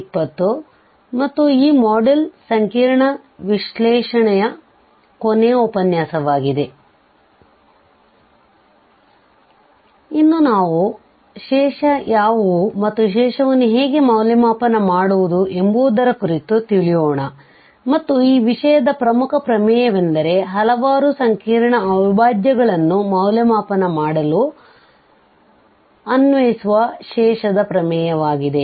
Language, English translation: Kannada, So, today we will be talking about what are the Residue and how to evaluate the residue and the most important theorem of this topic is the residue theorem which has application for evaluating a several complex integrals